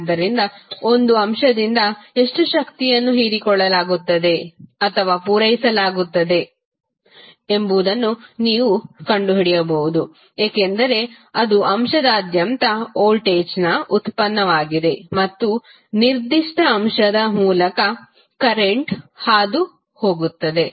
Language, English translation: Kannada, So, by this you can find out how much power is being absorbed or supplied by an element because it is a product of voltage across the element and current passing through that particular element